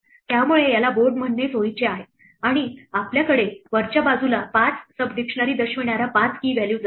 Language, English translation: Marathi, So, it is convenient to call it board and we will have at the top 5 key values indicating the 5 sub dictionaries